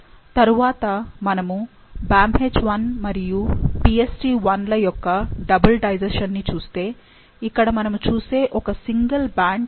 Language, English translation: Telugu, So, next if we look at the double digestion for the BamHI and PstI, here there is one single band that we see which is of 2